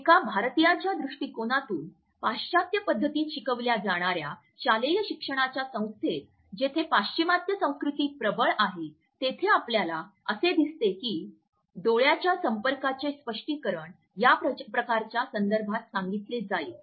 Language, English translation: Marathi, From the perspective of in Indian who has been taught in a western pattern of a schooling and is also working in an organization, where a Western oriented culture is dominant we find that the interpretations of eye contact would be talked about in this context